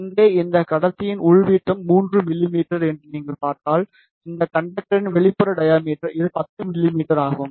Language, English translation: Tamil, Here, if you see the inner diameter of this conductor is 3 mm, whereas the outer diameter of this conductor that is this one is 10 mm